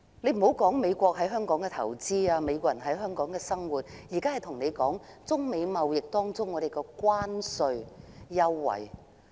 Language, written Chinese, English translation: Cantonese, 暫且不談美國在香港的投資，或美國人在香港的生活，我現在要說的是港美貿易的港方關稅優惠。, I am not talking about the investment of the United States in Hong Kong or the life of Americans here but the tariff concessions enjoyed by Hong Kong in our trade with the United States . There is no joking about it